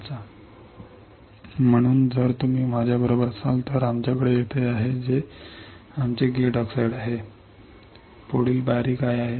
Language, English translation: Marathi, So, if you are with me we have here which is our gate oxide What is the next step